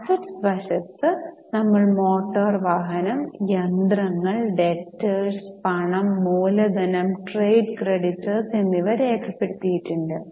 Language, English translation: Malayalam, On asset side we have recorded motor vehicle, machinery, debtors and cash capital and trade creditors